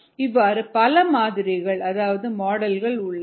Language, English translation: Tamil, there are many models